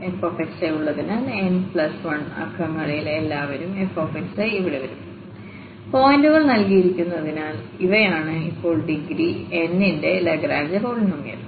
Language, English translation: Malayalam, Because there are this f x i are also n plus 1 in numbers every all f x i will come here and these are the Lagrange polynomial of degree n now because n plus 1 points are given